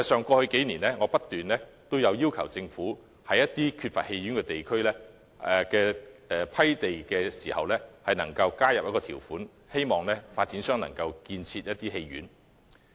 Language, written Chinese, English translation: Cantonese, 過去數年，我不斷要求政府就缺乏戲院的地區批地時加入條款，希望發展商能開設戲院。, In the past few years I have been urging the Government to include a clause when granting lands in areas without a cinema in the hope of encouraging developers to build cinemas